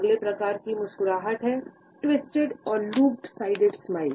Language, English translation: Hindi, The next type of a smile is the twisted or the lop sided smile